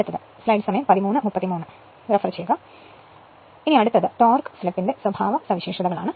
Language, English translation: Malayalam, So; that means, the next is the torque slip characteristics